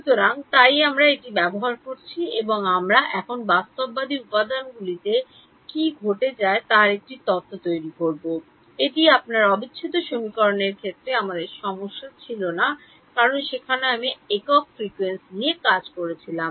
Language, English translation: Bengali, So, so this is what we have been using all along and we will now build a theory of what happens in realistic materials, this was not an issue for our case of yours integral equations because there I was dealing with single frequency